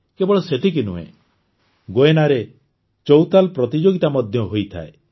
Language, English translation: Odia, Not only this, Chautal Competitions are also held in Guyana